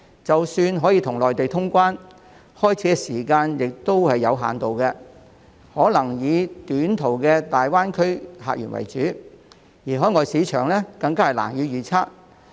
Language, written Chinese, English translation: Cantonese, 即使香港可以與內地通關，開始時旅遊業務也有限度，可能只能以短途的大灣區客源為主，海外市場更加難以預測。, Even if Hong Kong can resume people flow with the Mainland the tourism business will have limited operation at the beginning . Probably it can only feature the short - haul visitor source in the Greater Bay Area as the overseas markets are even more unpredictable